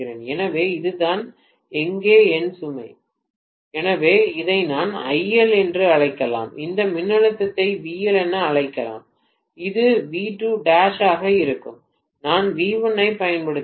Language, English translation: Tamil, So this is what is my load here, so I may call this as IL, I may call this voltage as VL which should have been V2 dash basically and I am applying V1